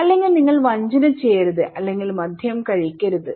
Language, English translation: Malayalam, Or your; you should not do cheating or you should not drink alcohol okay